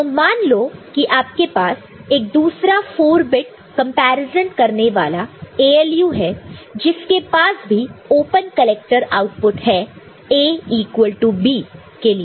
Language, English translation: Hindi, So, if you have another say a you know 4 bit comparison being done by another say ALU which also has got open you know, collector output for A is equal to B